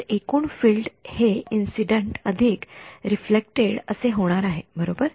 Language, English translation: Marathi, So, the total field is going to be incident plus reflected right